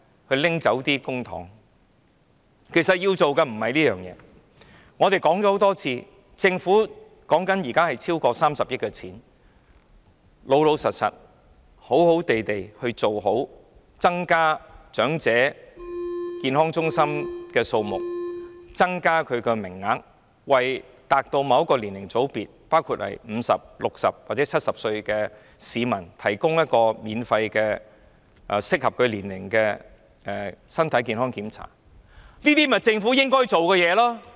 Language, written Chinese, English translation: Cantonese, 其實衞生署要做的不是這些，我們已說過很多次，現時有超過30億元的公帑，老實說，衞生署應好好地增加長者健康中心的數目和增加名額，並為達到某個年齡的組別，包括50歲、60歲或70歲的市民，提供適合其年齡的免費身體健康檢查，這些便是政府應該做的事情。, Actually this is not what DH should do and as we have said many times already we have over 3 billion in the public coffers and honestly DH should effectively increase the number of elderly health centres and the number of places in these centres . The Government should also provide specific age groups such as people aged 50 60 or 70 with free health checks suiting the needs of the respective age groups . These are what the Government should do